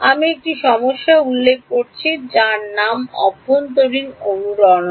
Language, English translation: Bengali, I mentioned one problem which is called internal resonances